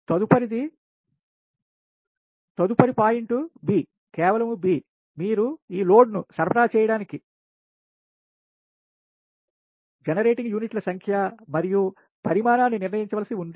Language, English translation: Telugu, next point b, just b, is that you have to determine the proper number and size of generating units to supply this load